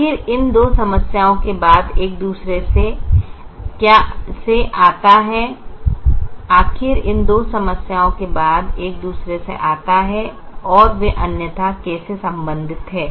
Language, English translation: Hindi, after all these two problems, one comes from the other, and how are they otherwise related